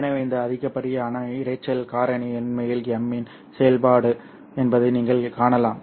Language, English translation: Tamil, So this excess noise factor is actually a function of m itself